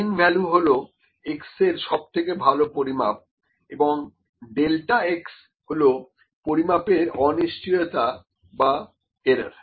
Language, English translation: Bengali, This mean value is the best estimate of the measurement of x, and delta x is the uncertainty or error in the measurements